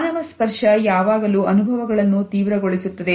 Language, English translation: Kannada, Human touch always intensifies experiences